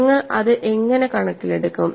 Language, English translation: Malayalam, How do you take that into account